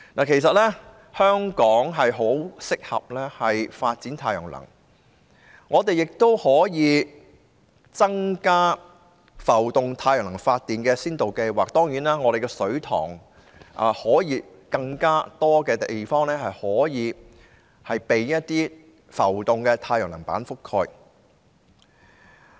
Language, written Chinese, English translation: Cantonese, 其實香港很適合發展太陽能，我們也可以擴大浮動太陽能發電的先導計劃，香港的水塘可以有更多地方以浮動太陽能板覆蓋。, Hong Kong is indeed very suitable for the development of solar power . We can also expand the pilot scheme on floating solar power by covering more areas of our reservoirs with floating solar panels